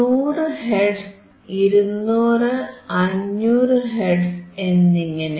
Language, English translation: Malayalam, 100 hertz, 150 hertz